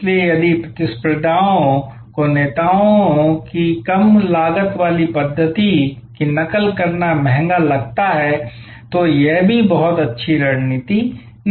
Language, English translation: Hindi, So, if competitors find it relatively easier in expensive to imitate the leaders low cost method, then also this is not a very good strategy